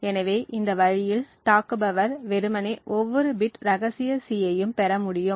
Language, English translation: Tamil, So, in this way the attacker could simply be able to obtain every bit of the secret C